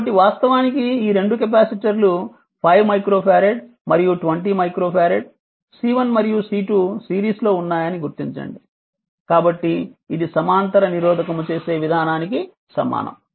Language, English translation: Telugu, So, figure this actually this 2 capacitors are in series 5 micro farad and 20 micro C 1 and C 2 so, its equivalent to the way you do the parallel resistor